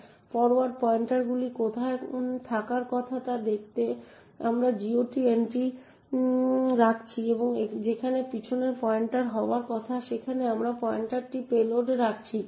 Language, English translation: Bengali, In see in where the forward pointers is supposed to be we are putting the GOT entry and where the back pointer is supposed to be we have putting the pointer to the payload